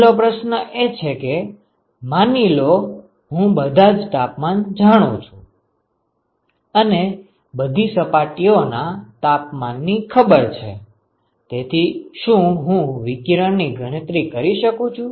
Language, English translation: Gujarati, The question one is suppose I know all the temperatures suppose all surface temperatures are known, ok